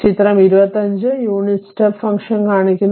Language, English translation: Malayalam, So, figure 25 shows the unit step function I will show you the figure